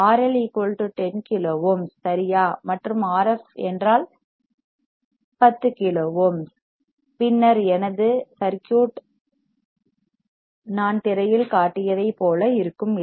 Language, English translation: Tamil, If R I = 10 kilo ohms right and R f is also = 10 kilo ohms, then my circuit will look like the one I have shown on the screen, is not it